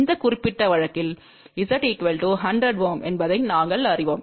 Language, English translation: Tamil, And we know that Z L is equal to 100 Ohm in this particular case